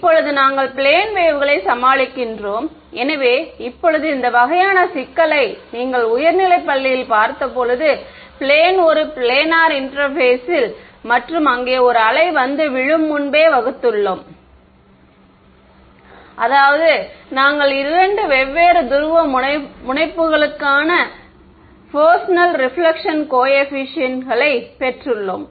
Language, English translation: Tamil, Now so, we will deal with plane waves ok; so now, when you looked at this kind of a problem I mean this is something that we have been seeing from high school, plane a planar interface and a wave falling over there that is when we have derived the Fresnel reflection coefficients for two different polarizations